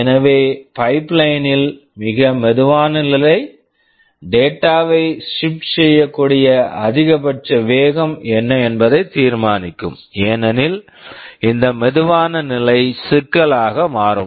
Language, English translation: Tamil, So, the slowest stage in the pipeline will determine what is the maximum speed with which we can shift the data, because this slowest stage will be become the bottleneck